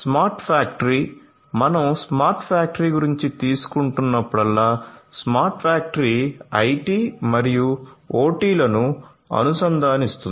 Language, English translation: Telugu, So, smart factory: so whenever we are taking about smart factory smart factory integrates IT and OT